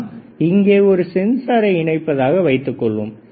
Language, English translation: Tamil, So, suppose I connect a sensor here